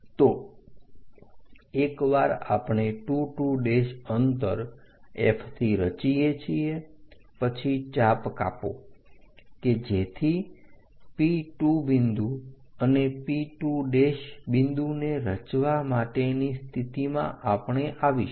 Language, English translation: Gujarati, So, once we construct 2 2 prime distance from F cut an arc so that P 2 point P 2 prime arc we will be in a position to construct